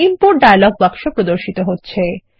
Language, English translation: Bengali, The Import dialog box appears